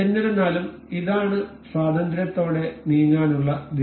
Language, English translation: Malayalam, However, this is free to move in this direction